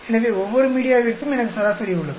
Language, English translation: Tamil, So, I have average for each one of the media